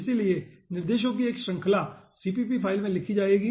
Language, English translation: Hindi, okay, so a series of instructions will be writing in a dot cpp file